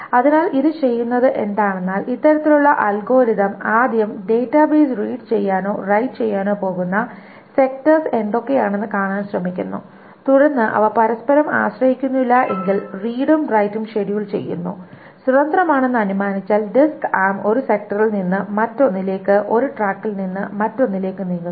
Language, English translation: Malayalam, So, what it does is that this kind of algorithm first tries to see what are the sectors that are going to be read or written by the database and then it schedules such read and write unless they are dependent on each other, assuming they are independent, such that the disk arm is moved from one sector to the another, from one track to the another